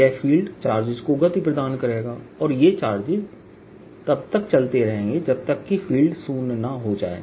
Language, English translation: Hindi, if there is, field is going to move charges until the field becomes zero